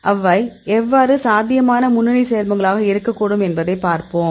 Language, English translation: Tamil, Now, we will see how they interact and how they could be a potential lead compound